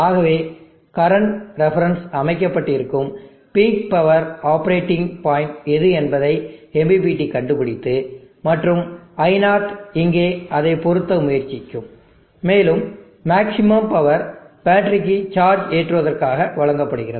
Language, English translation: Tamil, So the MPPT is finding out which the peak power operating point accordingly the current reference is being set, and I0 here will try to match it, and maximum power will deliver to the battery for charging